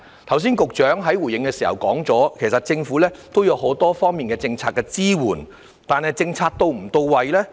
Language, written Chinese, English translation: Cantonese, 局長剛才回應時提到，其實政府也有很多方面的政策支援，但政策是否到位？, As mentioned by the Secretary in his earlier response the Government had in fact provided policy support in many respects . But are the policies effective?